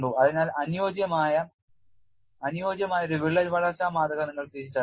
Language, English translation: Malayalam, So, from that you can use a suitable crack growth model